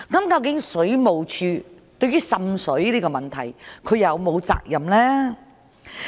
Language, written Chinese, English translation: Cantonese, 究竟水務署對於滲水這個問題有否責任呢？, Should WSD be responsible for water seepage problems?